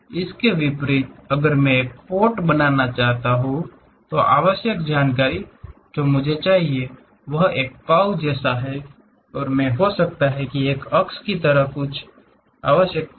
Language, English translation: Hindi, Something like, if I want to make a pot, the essential information what I require is something like a curve and I might be requiring something like an axis